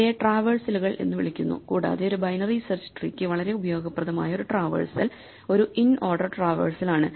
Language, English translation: Malayalam, These are called traversals and one traversal which is very useful for a binary search tree is an inorder traversal